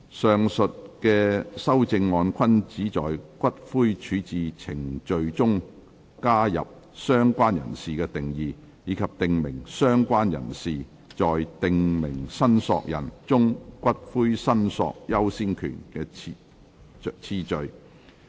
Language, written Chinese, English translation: Cantonese, 上述修正案均旨在於骨灰處置程序中加入"相關人士"的定義，以及訂明"相關人士"在"訂明申索人"中骨灰申索優先權的次序。, These amendments seek to add the definition of related person and provide for the order of priority of the related person among prescribed claimants for claiming ashes in the ash disposal procedures